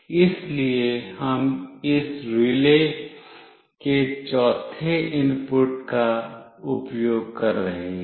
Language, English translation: Hindi, So, we are using this fourth input of this relay